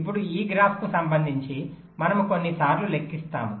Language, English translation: Telugu, now, with respect to this graph, we then calculate sometimes